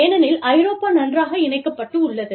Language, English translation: Tamil, Because, Europe is so well connected